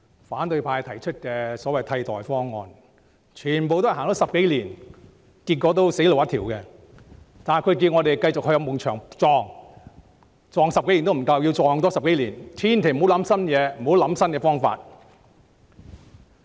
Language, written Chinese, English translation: Cantonese, 反對派提出的所謂替代方案推行了10多年，結果全是死路一條，但他們要我們繼續碰壁，碰了10多年也不夠，還要多碰10多年，千萬不要提出新思維、新方法。, However they still ask us to go down such a route to run into trouble . It has not been enough having run into troubles for more than 10 years . They ask us not to be innovative and not to think up anything new